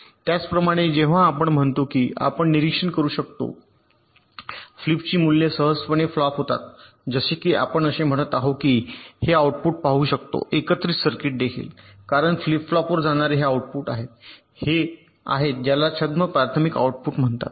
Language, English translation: Marathi, similarly, when we say we can observe the values of flip flops easily here, as if we are saying that we can, we can observe these outputs of combinational circuits also, because it is these outputs that are going to the flip flop